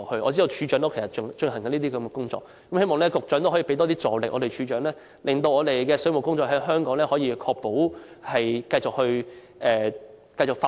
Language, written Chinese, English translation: Cantonese, 我知道署長其實也在進行這些工作，希望局長能向署長提供更大助力，令香港的水務工作得以繼續發展。, I know that the Director is actually working on this too so I hope the Secretary can strengthen support to the Director for the tasks of sustaining the development of Hong Kongs plumbing sector